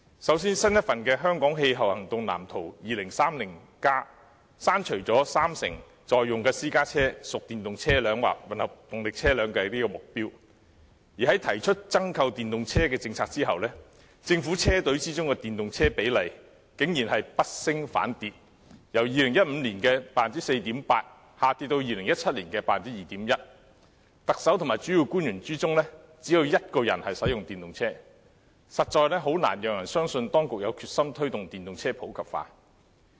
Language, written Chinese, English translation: Cantonese, 首先，新一份的《香港氣候行動藍圖 2030+》刪除了三成在用私家車屬電動車輛或混合動力車輛的目標，而在提出增購電動車政策後，政府車隊中的電動車比例竟然是不升反跌，由2015年的 4.8% 下跌至2017年的 2.1%； 特首及主要官員中，只有一人使用電動車，實在難以令人相信當局有決心推動電動車普及化。, First of all in the new Hong Kongs Climate Action Plan 2030 report the target concerning 30 % of private cars in use being EVs or hybrid cars has been removed . After the announcement of the policy on the purchase of more EVs the proportion of EVs among government vehicles has surprisingly decreased instead of increased . It dropped from 4.8 % in 2015 to 2.1 % in 2017